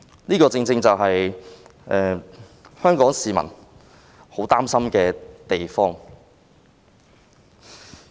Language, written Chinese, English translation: Cantonese, 這個正正是香港市民很擔心的地方。, This is exactly what worries Hong Kong people